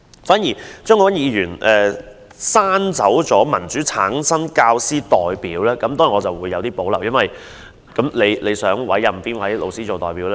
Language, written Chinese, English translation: Cantonese, 張國鈞議員刪去"以民主方式產生教師代表"，當然我對此有保留，他想委任哪位老師做代表？, Mr CHEUNG Kwok - kwan deletes the phrase teacher representatives must be returned by democratic elections concerning which I certainly have reservations . By whom does he want the teacher representative to be appointed?